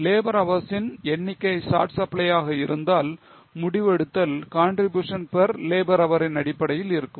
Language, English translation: Tamil, If number of labour hours are in short supply, the decision making will be based on contribution per labour hour